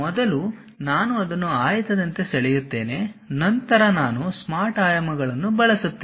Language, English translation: Kannada, First I will draw it like a rectangle, then I will use Smart Dimensions